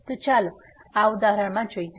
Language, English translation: Gujarati, So, let us see in this example